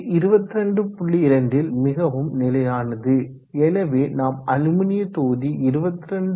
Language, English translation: Tamil, 2 so we can say that the aluminum block is a term 22